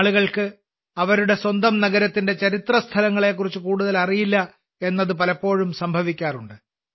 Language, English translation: Malayalam, Many times it happens that people do not know much about the historical places of their own city